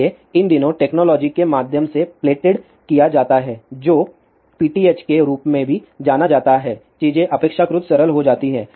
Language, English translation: Hindi, So, these days because of the plated through technology also known as pth things are become relatively simple